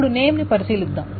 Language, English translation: Telugu, Now let us consider name